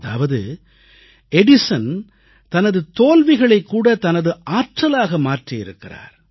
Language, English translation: Tamil, What I mean to say is, Edison transformed even his failures into his own strength